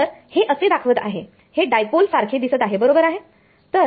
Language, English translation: Marathi, So, this is acting like it seems like a dipole right